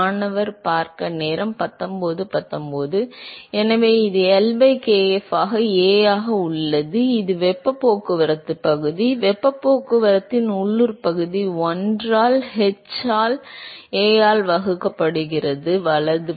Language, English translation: Tamil, So, this is L by kf into A, which is the area of heat transport; local area of heat transport divided by1 by h into A, right